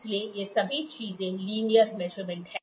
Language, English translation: Hindi, So, all these things are linear measurement